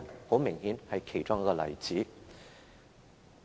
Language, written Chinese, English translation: Cantonese, 很明顯，這是其中一個例子。, Obviously this is one of the examples